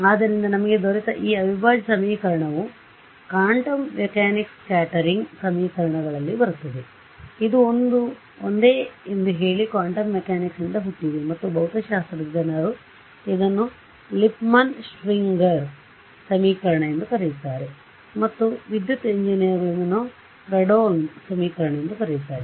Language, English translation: Kannada, So, this integral equation that we got comes in quantum mechanics scattering equations also; so, say this is the same Born from quantum mechanics and the physics people call it Lippmann Schwinger equation and electrical engineers call it Fredholm integral equation this is the same thing